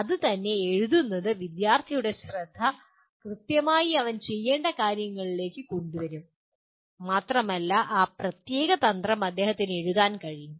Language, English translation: Malayalam, That itself, writing that itself will bring the attention of the student to what exactly he needs to do and he can write down that particular strategy